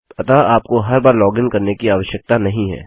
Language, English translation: Hindi, So you dont have to keep logging in